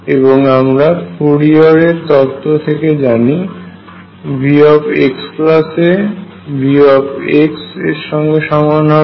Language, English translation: Bengali, That is by you know Fourier theorem therefore, V x plus a becomes same as V x